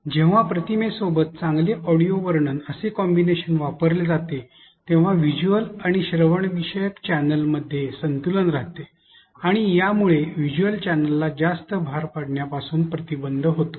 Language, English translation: Marathi, While well narration is used along with an image there is a balance in processing across the visual and the auditory channel, this prevents the visual channel from being overloaded